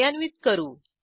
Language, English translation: Marathi, Now lets execute it